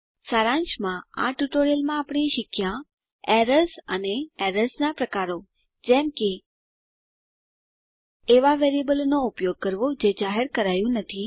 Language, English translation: Gujarati, In this tutorial we have learnt, errors and types of errors such as Use of variable that has not been declared